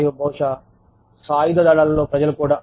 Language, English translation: Telugu, And, to maybe, even people in the armed forces